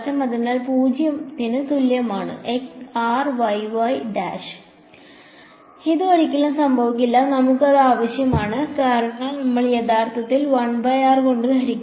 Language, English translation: Malayalam, So, this r y y prime equal to 0 never happens and we need that because we are actually dividing by 1 by r right